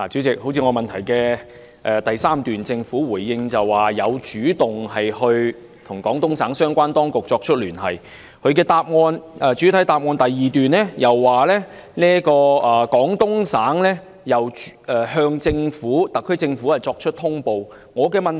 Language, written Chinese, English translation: Cantonese, 就我的質詢第三部分，政府回應稱有主動與廣東省相關當局聯繫，而主體答覆第二部分又指出，廣東省有向特區政府作出通報。, In respect of part 3 of my question the Government said that it had taken the initiative to contact the Guangdong authorities and in part 2 of the main reply he said that the Guangdong authorities did notify the HKSAR Government of various aspects